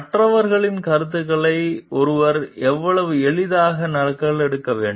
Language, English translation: Tamil, How read readily one should copy the ideas of others